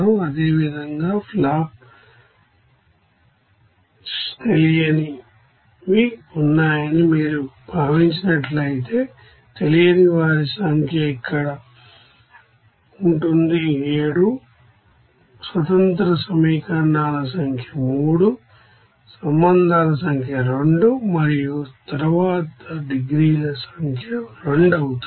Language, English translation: Telugu, Similarly, if you consider that flash you know that unknowns are there, so number of unknowns will be here 7, number of independent equations will be 3, number of relations will be 2 and then number of degrees accordingly it will be 2